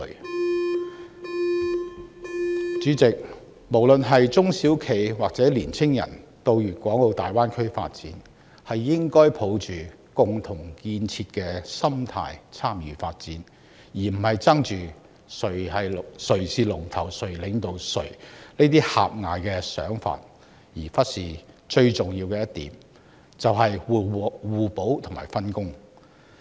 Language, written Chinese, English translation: Cantonese, 代理主席，不論是中小企抑或青年人，他們到大灣區發展時，應該抱着共同建設的心態參與發展，而不是執着於誰是龍頭或領導者的狹隘想法，忽略互補和分工才是成功關鍵。, Deputy President when SMEs and young people go to the Greater Bay Area for development they should consider themselves as participating in the building up of the Area rather than focusing solely on the question of who is the boss or who has the leading position . Complementarity of edge and division of work are the keys to success . They must not forget that